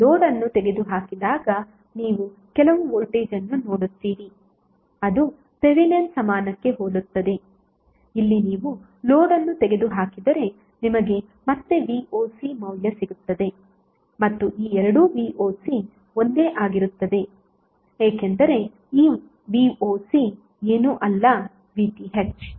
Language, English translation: Kannada, When you remove the load you will see some voltage let us say it is voc similarly for the Thevenin equivalent that is here if you remove the load you will again get the value voc and these two voc are same because this voc would be nothing but VTh